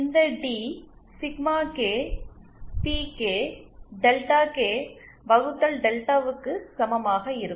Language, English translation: Tamil, This T will be equal to Sigma K PK Delta K upon delta